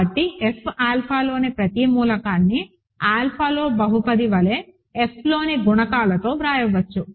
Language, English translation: Telugu, So, every element of F alpha can be written as a polynomial in alpha with coefficients in F